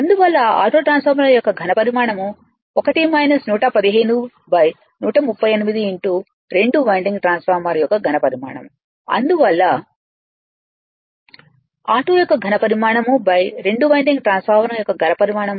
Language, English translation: Telugu, Therefore, volume of auto transformer probably, 1 minus 115 by 138 into volume of 2 winding transformer; therefore, volume of auto when volume of 2 winding transformer will be 0